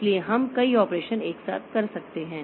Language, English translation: Hindi, So, we can have many operations done together